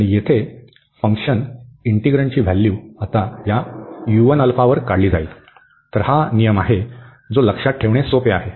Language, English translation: Marathi, And the function here, the integrand will be now evaluated at this u 1 alpha, so that is the rule that is easy to remember